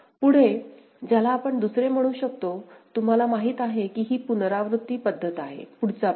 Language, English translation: Marathi, Next, we go to you can say second, you know it is iterative method, next pass